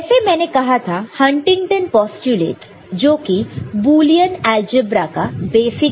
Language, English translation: Hindi, So, as I said Huntington postulates form the you know, basic premise of this Boolean algebra